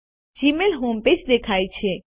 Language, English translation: Gujarati, The Gmail home page appears